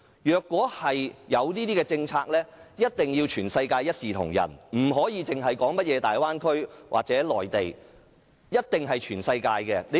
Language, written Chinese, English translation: Cantonese, 如果推出這種政策，一定要全世界一視同仁，不應只在大灣區或內地實行，必須在全世界實行。, If such a policy is introduced it must be applied globally without discrimination rather than only in the Bay Area or on the Mainland